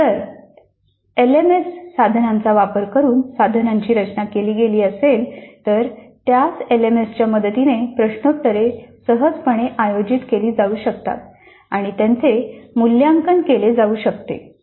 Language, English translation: Marathi, If items are designed using the tools of an LMS then as we just know sir the quizzes can be readily conducted and evaluated with the help of the same LMS